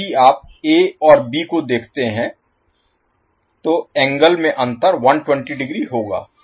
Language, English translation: Hindi, So, if you see A and B, so, the angle difference will be physically 120 degree